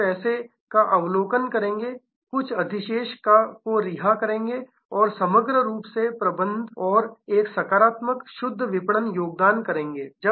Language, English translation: Hindi, Some will be observing money and some will be releasing surplus and to manage overall and create a positive net marketing contribution